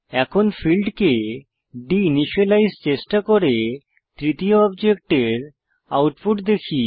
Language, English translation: Bengali, Now, try de initializing the fields and see the output for the third object